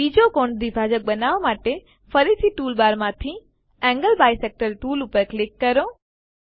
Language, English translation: Gujarati, Lets select the Angle bisector tool again from the tool bar to construct second angle bisector